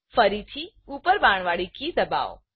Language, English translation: Gujarati, Press the uparrow key twice